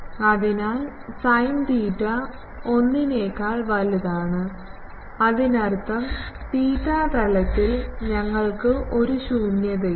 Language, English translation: Malayalam, So, sin theta is greater than 1; that means, in the theta plane we do not have a null